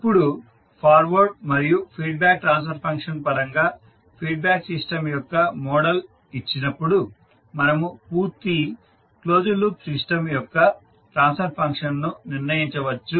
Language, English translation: Telugu, Now given the model of the feedback system in terms of its forward and feedback transfer function we can determine the transfer function of the complete closed loop system